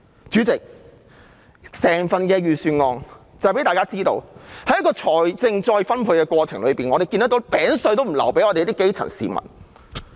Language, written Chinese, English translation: Cantonese, 主席，整份預算案讓大家看到在財政再分配的過程中，政府連"餅碎"也不留給基層市民。, President the whole Budget has shown us that in the process of wealth redistribution the Government has not even left grass - roots people a morsel